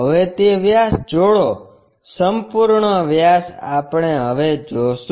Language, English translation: Gujarati, Now, join that diameter, the complete diameter we will see